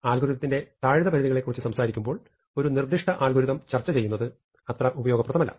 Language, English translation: Malayalam, Now, when we are talking about lower bounds it is not that useful to talk about a specific algorithm